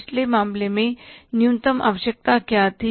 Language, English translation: Hindi, In the previous case, what was the minimum requirement